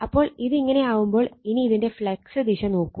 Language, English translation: Malayalam, So, if it is so then look at the flux direction